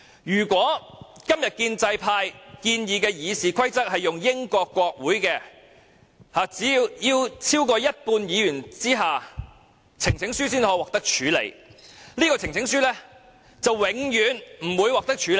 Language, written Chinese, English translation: Cantonese, 如果今天建制派建議的《議事規則》應用於英國國會，規定只有超過一半議員支持，呈請書才可獲處理，這項呈請書便永遠不會獲得處理。, If RoP as proposed by the pro - establishment camp is applied in the Parliament of the United Kingdom under which a petition will be considered for a debate only if it is supported by over half of all Members of Parliament such a petition will never be debated